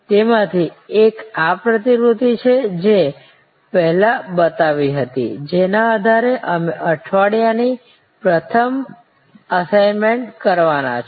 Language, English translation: Gujarati, One of them is this diagram that I had shown before, which is on the basis of which you are supposed to do an assignment in week one